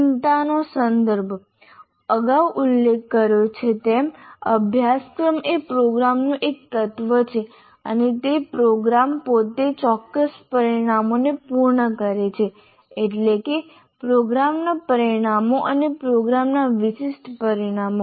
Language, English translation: Gujarati, As we all mentioned earlier, a course is an element of a program and the program itself has to meet a certain number of outcomes, namely program outcomes and program specific outcomes